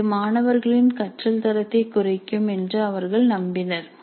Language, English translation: Tamil, They believed that this would reduce the quality of learning by students